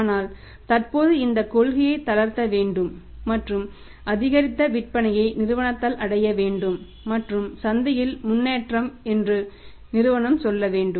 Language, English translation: Tamil, But currently this policy needs to be relaxed and increased sales must be achieved by the company and the company must say improvement in the market